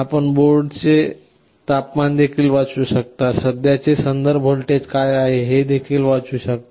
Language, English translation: Marathi, You can read the temperature of the board also and also you can read, what is the current reference voltage